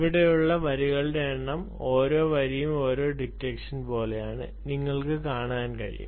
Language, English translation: Malayalam, yeah, student, you can see that the number of lines here, each line is like one detection